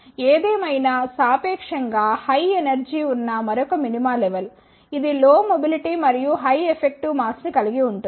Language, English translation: Telugu, However, the another minima which is at relatively higher energy is level, it contains lower mobility and higher effective mass